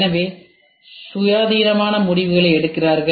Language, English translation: Tamil, So, they were taking independent decisions